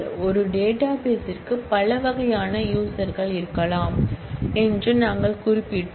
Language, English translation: Tamil, We mentioned that there could be several types of users for a database